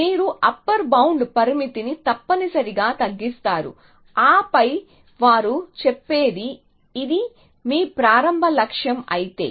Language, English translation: Telugu, You reduce the upper bound essentially and then what they say is the following that if this is your start goal